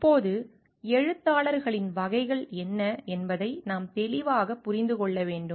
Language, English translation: Tamil, Now, we have to understand clearly what are the categories of authors